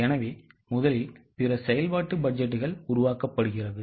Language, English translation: Tamil, So, first other functional budgets are made and finally the cash budget is made